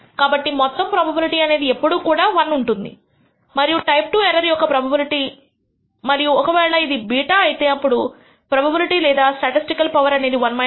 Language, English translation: Telugu, So, the total property always be 1 and the probability of type II error if its beta then the probability or statistical power is 1 minus beta